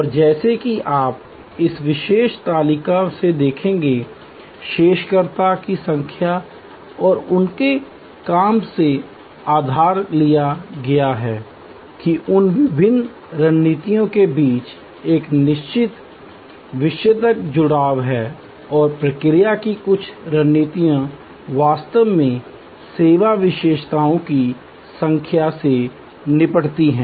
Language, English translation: Hindi, And as you will see you from this particular table, borrowed from number of researcher and their work that there is a certain thematic linkage among those various strategies and some of the response strategies actually tackle number of service characteristics